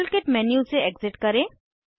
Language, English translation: Hindi, Exit the modelkit menu